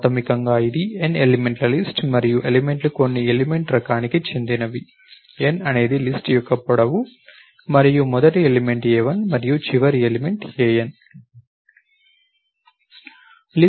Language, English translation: Telugu, Basically, it is a list of n elements and the elements are of some element type, n is the length of the list and first element is a 1 and last element is a n